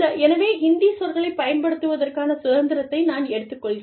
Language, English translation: Tamil, So, i am going to take the liberty, of using Hindi words